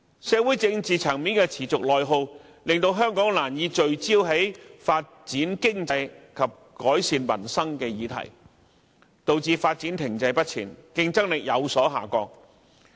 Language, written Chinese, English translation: Cantonese, 社會政治層面的內耗持續，令香港難以聚焦在發展經濟及改善民生的議題上，導致發展停滯不前，競爭力有所下降。, The incessant social and political strife within Hong Kong has made it difficult for us to focus on issues of developing the economy and improving peoples livelihood . Stagnancy and declining competitiveness have thus resulted